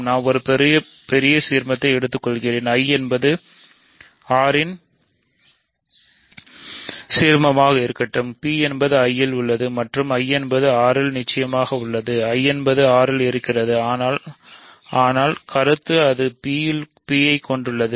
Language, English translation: Tamil, So, we are going to take a bigger ideal, let I be an ideal of R such that P is contained in I and I is contained in R of course, I is contained in R, but the point is it is it contains P